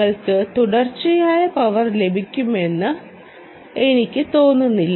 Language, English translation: Malayalam, well, i dont think, ah, you will get continuous power